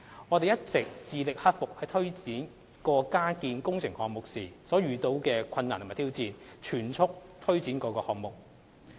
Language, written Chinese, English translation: Cantonese, 我們一直致力克服在推展各個加建工程項目時遇到的困難及挑戰，全速推展各項目。, We have all along been striving to overcome the difficulties and challenges encountered in delivering the retrofitting works with the aim of implementing the various items expeditiously